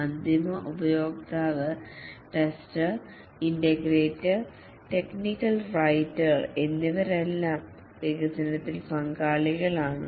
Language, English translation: Malayalam, The end user, the tester, integrator, technical writer, all are involved in the development